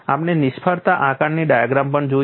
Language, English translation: Gujarati, We have also looked at failure assessment diagram